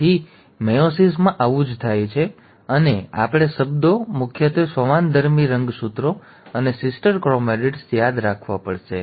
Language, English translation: Gujarati, So this is what happens in meiosis and we have to remember the terms, mainly the homologous chromosomes and sister chromatids